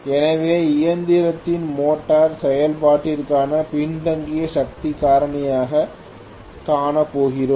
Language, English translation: Tamil, So we are going to see a lagging power factor for the motoring operation of the machine